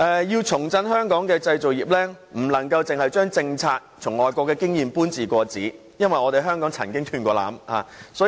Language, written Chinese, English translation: Cantonese, 要重振香港的製造業，不能單把外國的政策和經驗"搬字過紙"，因為香港曾經"斷纜"。, We should revive the manufacturing industries in Hong Kong and avoid borrowing the policies and experience of overseas countries wholesale as Hong Kong has experienced disruption in the past